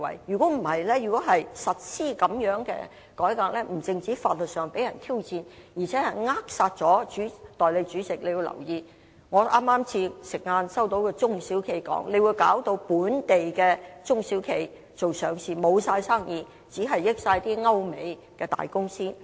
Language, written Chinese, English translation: Cantonese, 相反，如要實施這樣的改革，不單在法律上會被人挑戰，更扼殺了......代理主席，你要留意，我剛在午飯時間聽到一個中小企老闆說，這建議會導致本地做上市的中小企，完全沒有生意，只能惠及歐美的大公司。, Conversely if such a reform is to be implemented it might be challenged legally on top of stifling Deputy President please note that during the lunch break I have listened to a comment from an owner of a small and medium enterprise that under the proposal small and medium size listing service providers will lose all their businesses to big companies from Europe or the United States